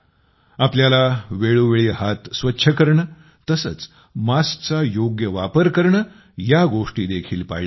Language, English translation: Marathi, We also have to take necessary precautions like hand hygiene and masks